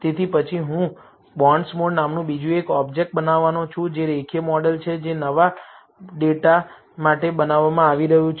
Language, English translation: Gujarati, So, then I am going to create another object called bonds mod one, which is the linear model that is being built for the new data